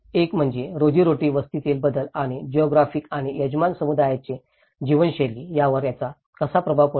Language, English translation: Marathi, One is the change in the livelihood settlement and how it is influenced by the geography and the way host community is lived